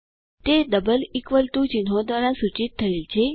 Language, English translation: Gujarati, It is denoted by double equal (==) signs